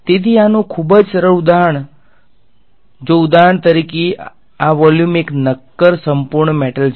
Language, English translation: Gujarati, So, very simple example of this is if for example, this volume V naught is a solid perfect metal